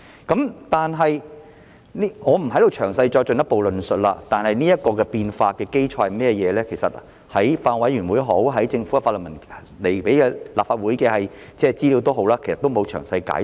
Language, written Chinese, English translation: Cantonese, 我不會在此詳細論述，但有關這些變化的基礎，不論是法案委員會會議或是政府提交立法會的法律文件，均沒有詳細解說。, I am not going to elaborate here but no detailed explanation on the justifications of the relevant changes has been given either at the Bills Committee meetings or in the legal documents submitted by the Government to the Legislative Council